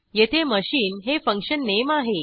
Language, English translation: Marathi, Here, function name is machine